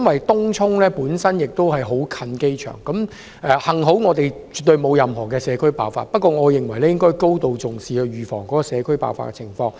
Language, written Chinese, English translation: Cantonese, 東涌鄰近機場，幸好本港沒有出現社區爆發麻疹的情況，但我們應該高度重視，預防社區爆發。, Tung Chung is close to the airport . Luckily no community outbreak of measles has been reported in Hong Kong but we should attach great importance to this matter and prevent any community outbreak